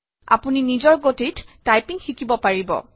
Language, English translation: Assamese, You can learn typing at your own pace